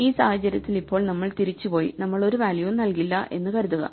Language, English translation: Malayalam, Now, notice that if we go back and we go do not give a values